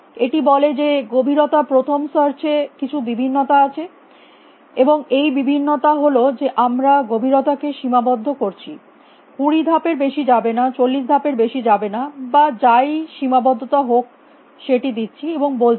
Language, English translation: Bengali, It says that variation on depth first search, and the variation is that we have put the depth bound do not go more than twenty steps go and go more than forty steps whatever some depth bound we have put and said